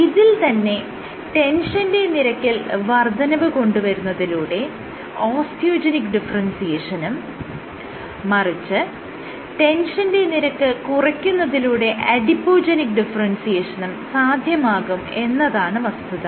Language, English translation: Malayalam, Lower the tension, if you lower the tension your osteogenic differentiation drops, if you load the tension then you are Adipogenic differentiation increases